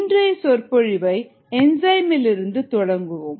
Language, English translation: Tamil, let us begin this lecture with enzymes